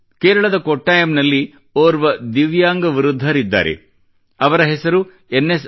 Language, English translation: Kannada, In Kottayam of Kerala there is an elderly divyang, N